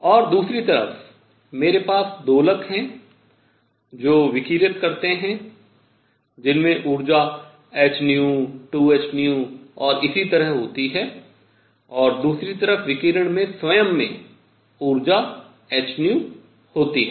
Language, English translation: Hindi, So, on one hand, I have oscillators that radiate that have energy h nu 2 h nu and so on the other radiation itself has energy h nu